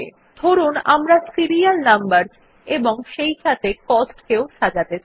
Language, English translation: Bengali, Lets say, we want to sort the serial numbers as well as the cost